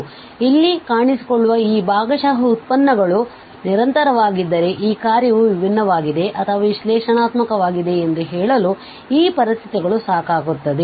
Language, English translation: Kannada, And if these partial derivatives appearing here are also continuous, then these conditions become sufficient for claiming that this function is differentiable or even analytic